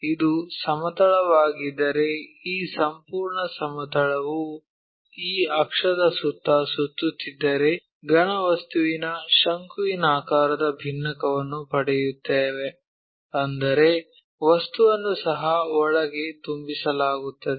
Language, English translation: Kannada, If, it is a plane this entire plane revolves around this axis, then we will get a conical frustum of solid object; that means, material will be filled inside also